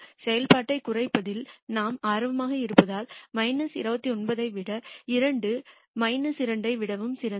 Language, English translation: Tamil, Since we are interested in minimizing the function minus 29 is much better than minus 2